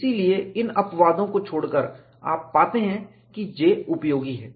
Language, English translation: Hindi, So, excluding these exceptions, you can find J is useful